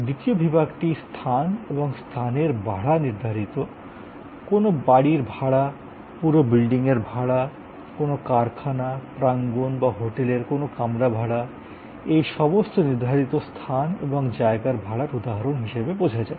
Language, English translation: Bengali, The second block is defined space and place rentals, very easy to understand renting of an apartment, renting of a whole building, renting of a factory, premises or your, renting of your hotel room, all these are examples of defined space and place rentals